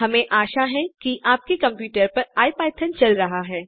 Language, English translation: Hindi, I hope you have, IPython running on your computer